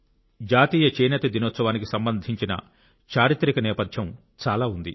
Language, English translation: Telugu, National Handloom Day has a remarkable historic background